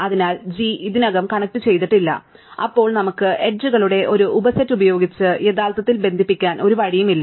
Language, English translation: Malayalam, So, G is not already connected, then there is no way we can actually connect using a subset of edges